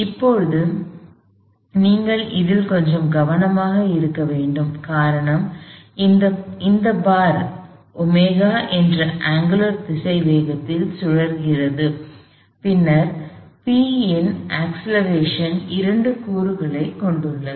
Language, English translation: Tamil, Now, you have to be a little carful with this, the reason is, if this bar is rotating at some angular velocity omega, then the acceleration of P has two components to it